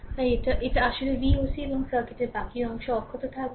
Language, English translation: Bengali, So, this is actually V oc and rest of the circuit will remain intact